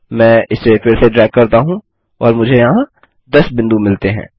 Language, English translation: Hindi, I can again drag this and I get 10 points here